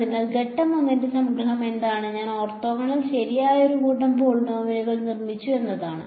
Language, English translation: Malayalam, So, what is our sort of summary of step 1 is I have constructed a set of polynomials which are orthogonal right